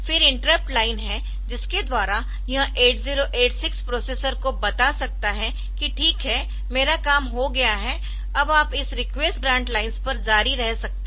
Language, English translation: Hindi, And then interrupt line is there by which it can tell the processor 8086 that ok, I am done you can continue now like this over this request and grant lines